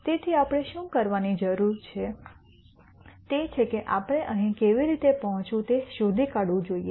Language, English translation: Gujarati, So, what we need to do is we have to figure out some how to get here